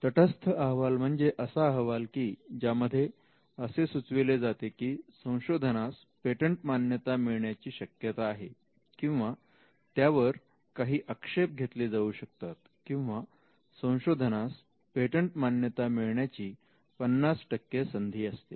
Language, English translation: Marathi, The neutral report is where there is a fair chance that the invention can be granted, they could also be some objections to it where it is a you could say a 50 50 percent chance of the invention getting granted